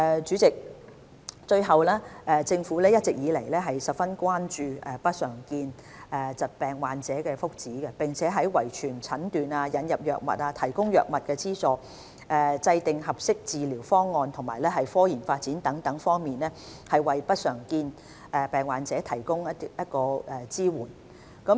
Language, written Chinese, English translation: Cantonese, 主席，最後，政府一直以來十分關注不常見疾病患者的福祉，並在遺傳診斷、引入藥物、提供藥物資助、制訂合適治療方案及科研發展等多方面，為不常見疾病患者提供支援。, President lastly the Government is always highly concerned about the well - being of patients with uncommon disorders . It has also been providing these patients with support from a number of areas such as genetic diagnosis introduction of drugs provision of drug subsidies formulation of appropriate treatment options and development of scientific research